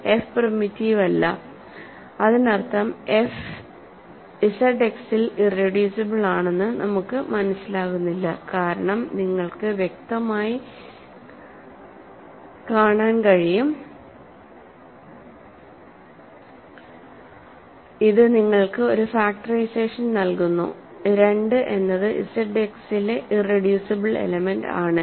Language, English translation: Malayalam, So, f is not primitive that means, we do not get that f is irreducible in Z X because clearly you can see that, this gives you a factorization 2 is an irreducible element in Z X